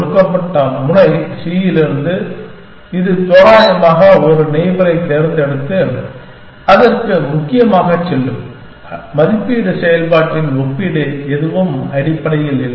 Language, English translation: Tamil, From a given node c, it will just randomly choose one neighbor and go to that essentially, no comparison of evaluation function nothing essentially